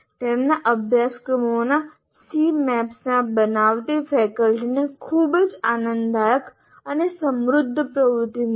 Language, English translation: Gujarati, Faculty creating C maps of their courses found it very enjoyable and enriching activity